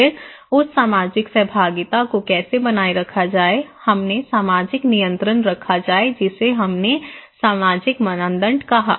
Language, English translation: Hindi, Then so, how to maintain that social interactions, we put social control that we called social norms okay